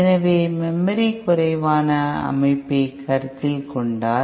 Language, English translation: Tamil, So if you consider a memory less system